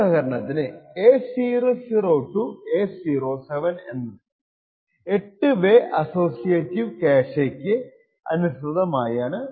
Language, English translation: Malayalam, So, this for example A00 to A07 is an 8 way corresponds to the 8 way associative cache